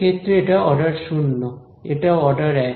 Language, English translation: Bengali, In this case this is order 0, this is order 1